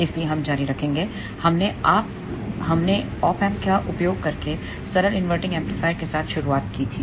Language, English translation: Hindi, So, we will continue we started with the simple inverting amplifier using op amp